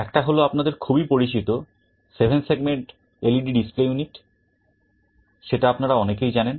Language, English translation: Bengali, One is the very familiar 7 segment LED display unit that many of you know of